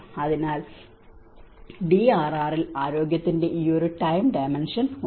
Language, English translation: Malayalam, So, there is a time dimension of health in DRR